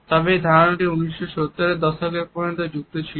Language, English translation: Bengali, However, this idea had remained dormant till 1970s